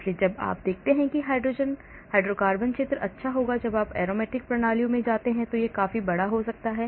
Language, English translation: Hindi, so as you can see hydrocarbons region will be good whereas when you go to aromatic systems, amines it can be quite large